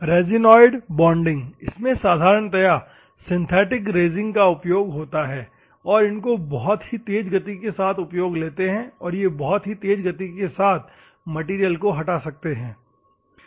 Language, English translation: Hindi, Resinoid bonding: basically synthetic resins are used normally, and these are operating at very high speeds and those you can remove the material at very fastly